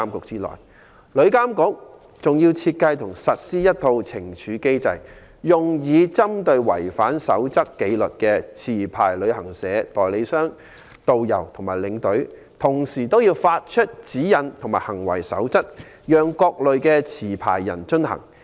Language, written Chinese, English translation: Cantonese, 此外，旅監局負責設計和實施一套懲處機制，用以針對違反紀律守則的持牌旅行社、旅行代理商、導遊和領隊，同時要發出指引及行為守則，讓各類持牌人遵行。, Moreover TIA will be tasked to design and implement a punitive mechanism against licensed travel agents tourist guides and tour escorts who have breached disciplinary codes as well as issuing guidelines and codes of conduct for the compliance of different types of licensees